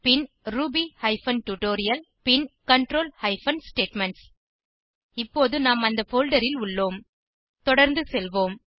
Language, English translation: Tamil, Then to ruby hyphen tutorial control hyphen statements Now that we are in that folder, lets move ahead